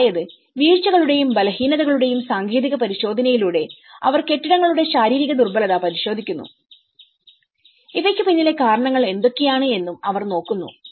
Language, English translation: Malayalam, So, which means they are looking at the physical vulnerability of the buildings through a technical inspection of falls and weaknesses and what are the reasons behind these